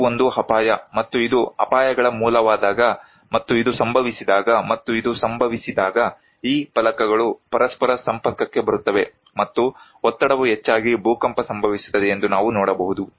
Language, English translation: Kannada, this is one hazard and when this is the source of the hazards and when this happen and this happens, we can see that these plates come in contact with each other and the pressure builds up an earthquake occurs